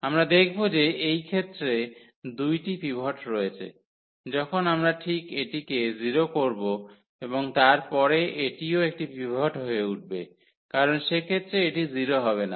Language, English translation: Bengali, So, we will observe that there are 2 pivots in this case, when we just we can just make this to 0 and then this will become also a pivot because this will not be 0 in that case